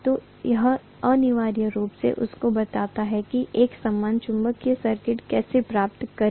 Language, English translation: Hindi, So this essentially tells you how to get an equivalent magnetic circuit